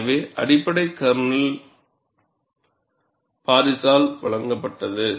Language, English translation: Tamil, So, the basic kernel was provided by Paris